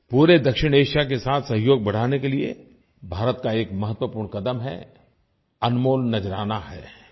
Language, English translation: Hindi, It is an important step by India to enhance cooperation with the entire South Asia… it is an invaluable gift